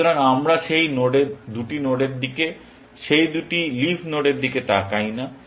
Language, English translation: Bengali, So, we are not looked at those two nodes, those two leaf nodes